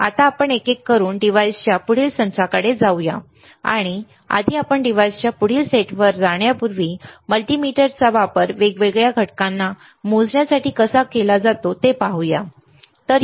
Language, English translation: Marathi, Now, let us move to the next set of device one by one, and before we move to the next set of device first, let us see how multimeter is used for measuring the different components, all right